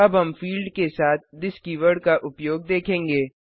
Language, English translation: Hindi, Now we will see the use of this keyword with fields